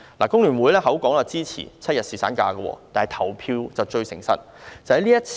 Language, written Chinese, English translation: Cantonese, 工聯會口說支持7日侍產假，但投票結果是不會騙人的。, Members from FTU said they support seven - day paternity leave but the voting result does not lie